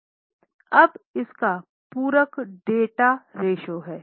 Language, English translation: Hindi, Now, complementary to this is a debt ratio